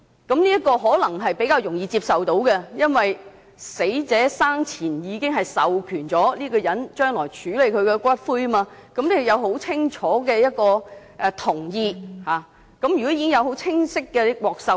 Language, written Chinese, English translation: Cantonese, 這可能比較容易接受，因為死者生前已經授權這人將來處理他的骨灰，有很清晰的同意和授權。, It can be more readily acceptable because the deceased has already authorized such a person to deal with his ashes when he is alive indicating a very clear agreement and authorization